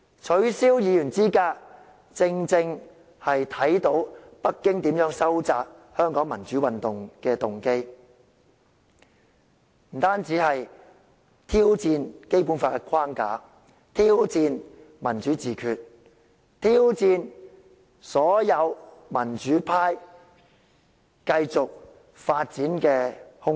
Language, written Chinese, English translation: Cantonese, 取消議員資格，正正體現北京意欲打壓香港民主運動的動機，不單是挑戰《基本法》的框架，更挑戰民主自決、挑戰所有民主派繼續發展的空間。, Disqualification of Members from office exactly demonstrates Beijings motive to suppress the democratic movement in Hong Kong . It challenges not only the framework laid down by the Basic Law but also democratic self - determination and the room for the continuous development of the entire pro - democracy camp